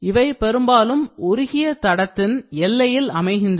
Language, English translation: Tamil, Then often occurring at the border of the molten tracks